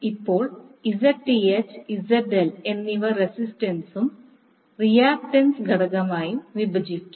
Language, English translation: Malayalam, So, now Zth and ZL you can divide into the resistance and the reactance component